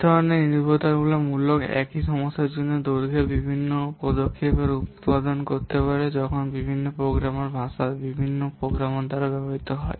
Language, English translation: Bengali, This type of dependency would produce different measures of length for essentially the same problem when different programming languages are used by different programmers